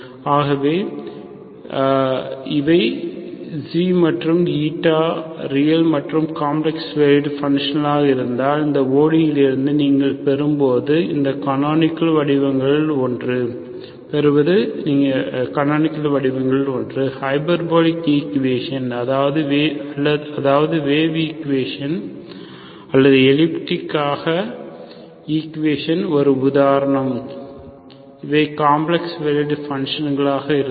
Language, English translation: Tamil, So if these are, if xi and Eta are real and complex valued functions, when you get these from this ODE is, from the odes, what you get is, one of these canonical forms, either hyperbolic equation, that is like wave equation is an example or elliptic equation if these are complex valued functions